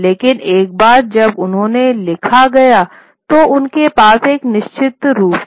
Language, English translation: Hindi, But once written down, they have a fixed form